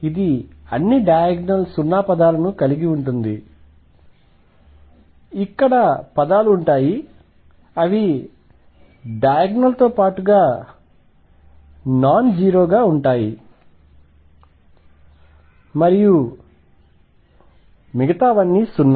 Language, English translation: Telugu, It would have all of diagonal term 0 there will be terms here which will be nonzero along the diagonal and everything else would be 0